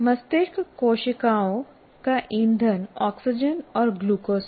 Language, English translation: Hindi, Brain cells consume oxygen and glucose for fuel